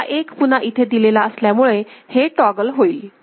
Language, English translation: Marathi, So, then this is 1 fed back here, so this will again toggle